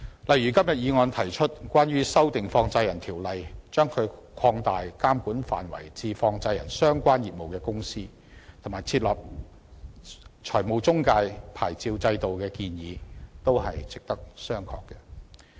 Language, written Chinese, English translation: Cantonese, 例如，今天議案提出修訂《放債人條例》，將其監管範圍擴大至經營與放債相關業務的公司，以及設立財務中介牌照制度的建議，也是值得商榷的。, For instance the proposals put forward in the motion today for amending the Money Lenders Ordinance to expand its ambit of regulation to cover companies engaged in money lending - related business and to establish a licensing regime for intermediaries are open to question